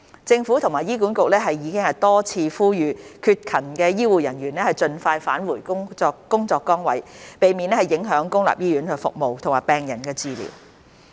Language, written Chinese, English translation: Cantonese, 政府和醫管局已多次呼籲缺勤的醫護人員盡快返回工作崗位，避免影響公立醫院服務和病人治療。, Meanwhile the Government and HA repeatedly urged healthcare staff who were absent from duty to return to work as soon as possible to avoid affecting public hospital services and treatment of patients